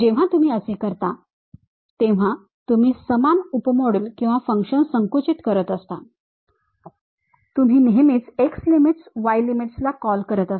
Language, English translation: Marathi, When you do that you are basically shrinking the same sub module or function you are all the time calling these are my x limits, y limits